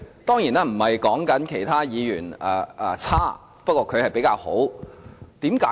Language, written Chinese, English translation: Cantonese, 當然，我不是說其他議員差勁，不過他是比較出色的。, Of course I am not saying the other Members are poor but he is more outstanding